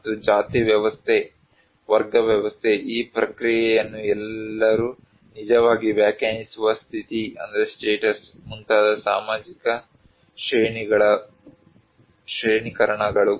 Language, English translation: Kannada, And social stratifications like caste system, class system, the status that all actually define this process